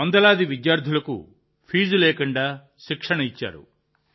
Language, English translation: Telugu, He has also imparted training to hundreds of students without charging any fees